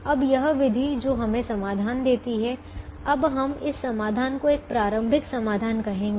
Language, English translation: Hindi, now, this method which gives us a solution, now we are going to call this solution as a starting solution